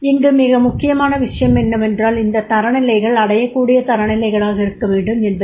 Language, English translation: Tamil, The most important point is these standards are achievable standards